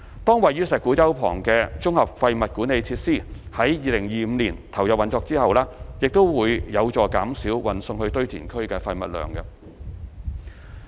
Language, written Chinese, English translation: Cantonese, 當位於石鼓洲旁的綜合廢物管理設施於2025年投入運作之後，亦將有助減少運送至堆填區的廢物量。, The commissioning of the Integrated Waste Management Facilities near Shek Kwu Chau in 2025 will also help reducing the bulk of waste to be delivered to landfills